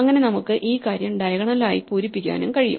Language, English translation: Malayalam, So, we can also fill up this thing diagonal by diagonal